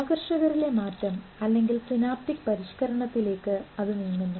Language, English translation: Malayalam, The changes in attractors are the synaptic modification